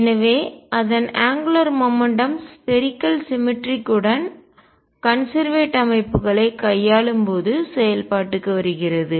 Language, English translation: Tamil, So, its angular momentum comes into play when we are dealing with systems with its spherical symmetry where it is conserved